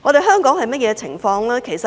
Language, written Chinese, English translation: Cantonese, 香港的情況如何？, What about Hong Kong?